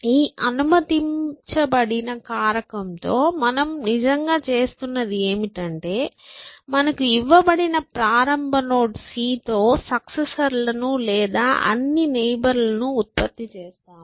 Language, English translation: Telugu, So, what with this allowed factor, what we are really doing is that, given a node c that we start with, we generate all the successors, all the neighbors, from this neighbor we disallow some